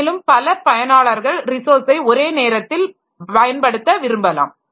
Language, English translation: Tamil, Then there may be that multiple users they want to use the resource simultaneously